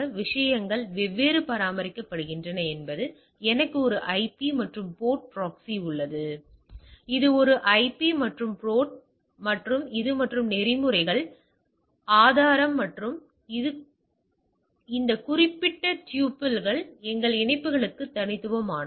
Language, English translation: Tamil, How the things maintained I have a IP and port proxy has a IP and port and this and the protocol this proof and this particular tuple is unique for our connections, right